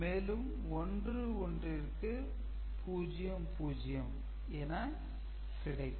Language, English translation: Tamil, So, you have got 1 1 0 1 over here is 0